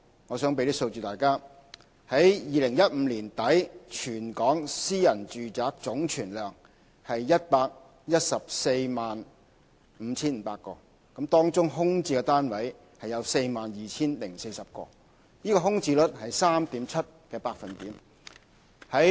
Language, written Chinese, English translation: Cantonese, 我想提供一些數字給大家：在2015年年底，全港私人住宅總存量是 1,145 500個，當中空置的單位有 42,040 個，空置率是 3.7%。, Let me provide Members with some figures . As at the end of 2015 the total number of private residential properties in Hong Kong was 1 145 500 among which 42 040 units were vacant representing a vacancy rate of 3.7 %